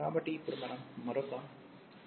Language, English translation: Telugu, So, now we will make another assumption